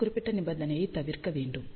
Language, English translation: Tamil, So, this particular condition should be avoided